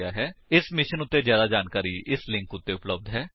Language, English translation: Punjabi, 00:13:11 00:13:08 More information on this mission is available at [2]